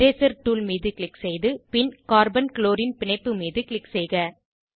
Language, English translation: Tamil, Click on Eraser tool and click on Carbon chlorine bond